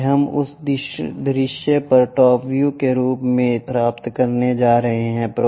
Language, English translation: Hindi, This is what we are going to get on that view as top view